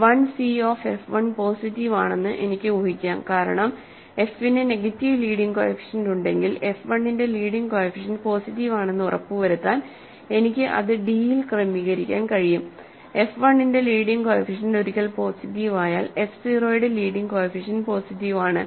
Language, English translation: Malayalam, So, I can assume that l c of f 1 is positive because if f has negative leading coefficient I can adjust that in d to make sure that leading coefficient of f 1 is positive, once the leading coefficient of f 1 is positive leading coefficient of f 0 is positive